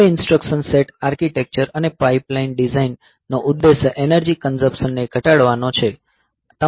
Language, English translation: Gujarati, Now, instruction set architecture and pipeline design aimed at minimizing energy consumption